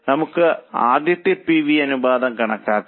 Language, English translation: Malayalam, So, let us first calculate PV ratio